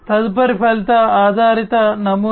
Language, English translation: Telugu, The next one is the outcome based model